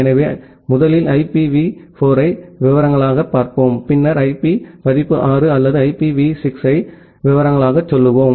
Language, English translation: Tamil, So, we will first look into IPv4 in details, and then we will go to go to the details of IP version 6 or IPv6